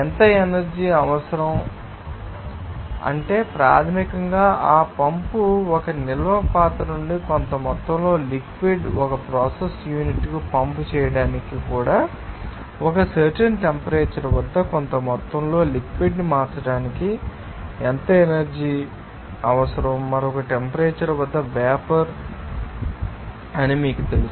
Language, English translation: Telugu, how much energy to be required or power to be required, that is basically especially for that pump to pump certain amount of liquid from a storage vessel to a process unit also how much energy is required to convert certain amount of liquid at a particular temperature to you know that Steam at another temperature